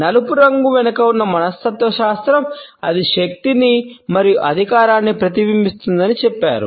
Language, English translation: Telugu, The psychology behind the color black says that it reflects power and authority